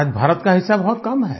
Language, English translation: Hindi, Today India's share is miniscule